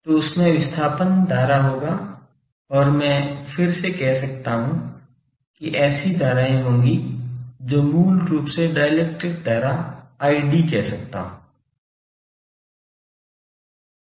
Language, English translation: Hindi, So, there will be the displacement current through them and I can say again that there will be currents which are basically I can say the dielectric current i d